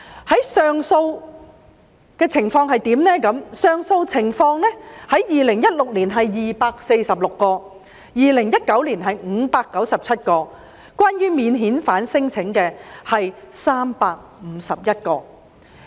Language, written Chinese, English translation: Cantonese, 至於上訴許可的情況 ，2016 年是246宗 ，2019 年是597宗，當中關於免遣返聲請的是351宗。, Regarding cases of application for leave to appeal there were 246 cases in 2016 and 597 cases in 2019 351 of which were about non - refoulement claims